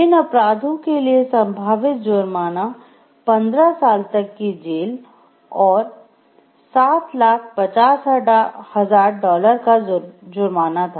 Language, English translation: Hindi, The potential penalty for these crimes were up to 15 years in prison, and a fine of dollar 7,50,000